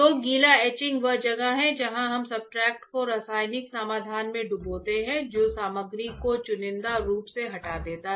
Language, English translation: Hindi, So, wet etching is where we dip the substrate into chemical solution that selectively removes the material what about selectively removes the material